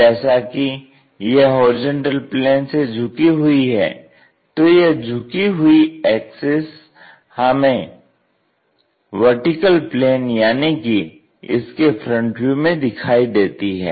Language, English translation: Hindi, And axis is inclined to that horizontal plane which we can sense it only in the front view